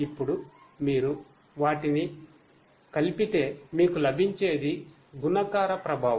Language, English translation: Telugu, Now, if you put them together, what you get is a multiplicative effect